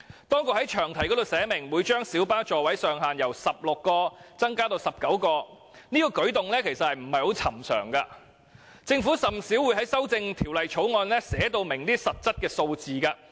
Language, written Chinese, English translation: Cantonese, 當局在詳題中寫明將小巴座位上限由16個增至19個，這舉動並不尋常，政府是甚少會在修訂法案中寫出明確數字的。, The authorities have clearly provided in the long title that the maximum seating capacity of light buses is to increase from 16 to 19 . This is an unusual practice because the Government seldom specifies a particular number in amending any piece of legislation